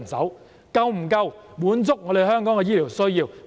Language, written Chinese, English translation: Cantonese, 是否足夠滿足香港的醫療需要呢？, Can the additional supply meet the healthcare needs in Hong Kong?